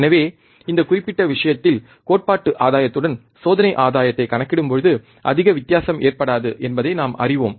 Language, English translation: Tamil, So, we see that, you know, not much difference happens when we calculate experiment gain with theoretical gain in this particular case